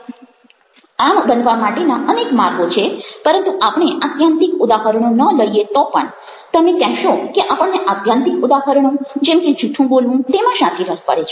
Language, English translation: Gujarati, but even if we don't take the extreme examples, you would say that why are we interested in extreme examples, say, telling lies